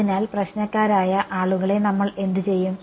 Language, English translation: Malayalam, So, what do we do with problematic guys